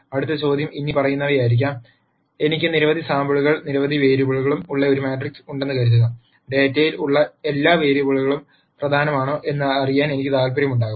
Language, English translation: Malayalam, The next question might be the following, supposing I have a matrix where I have several samples and several variables, I might be interested in knowing if all the variables that are there in the data are important